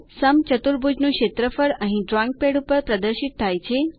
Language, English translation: Gujarati, Area of rhombus is displayed here on the drawing pad